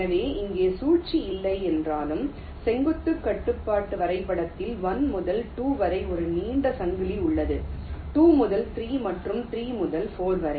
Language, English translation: Tamil, so here though, there is no cycle, but there is a long chain in the vertical constraint graph: one to two, two to three and three to four